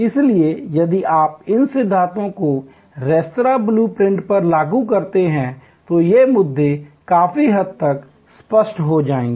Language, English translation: Hindi, So, if you apply these principles to the restaurant blue print, these issues will become quite clear